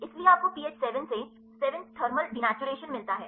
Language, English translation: Hindi, So, you have got the pH 7 to 7 thermal denaturation